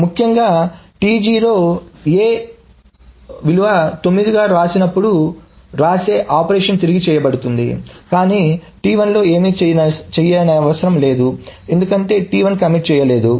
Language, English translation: Telugu, So essentially this right T0 A to N this operation is being redone but nothing on T1 needs to be done because T1 has not committed